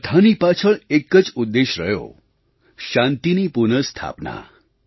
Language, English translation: Gujarati, There has just been a single objective behind it Restoration of peace